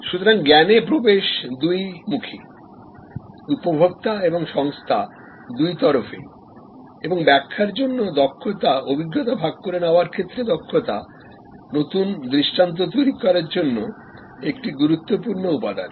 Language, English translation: Bengali, So, access to knowledge bidirectional, consumer as well as organization and expertise for interpretation, expertise for sharing experiences, construct new paradigm is an important element